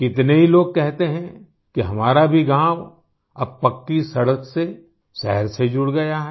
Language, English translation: Hindi, Many people say that our village too is now connected to the city by a paved road